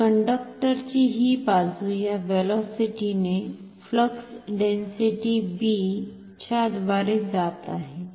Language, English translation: Marathi, So, this side of the conductor is moving through a flux density of B with this velocity